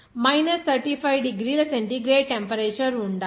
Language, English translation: Telugu, There were minus 35 degrees centigrade temperature